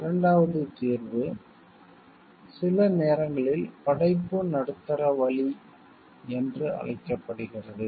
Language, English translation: Tamil, Second solution is sometimes called the creative middle way